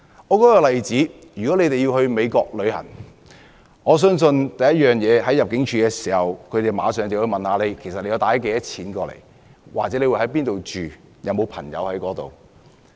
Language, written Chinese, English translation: Cantonese, 一個例子是，如果一個人要到美國旅遊，我相信當地入境部門會先問他攜帶多少現金或會在哪裏居住，以及在當地有沒有朋友。, An example is that if a person wants to travel to the United States I believe the immigration officer will ask him how much cash he has with him where he will live and whether he has friends there